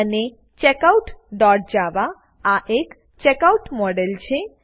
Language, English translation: Gujarati, And Checkout.java is a checkout model